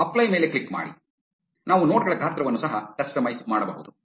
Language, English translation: Kannada, Click on apply; we can even customize the size of the nodes